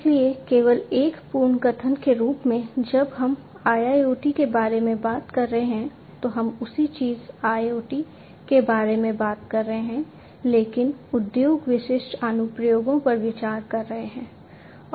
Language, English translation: Hindi, So, just as a recap when we are talking about IIoT, we are essentially if we are talking about the same thing IoT, but considering industry specific applications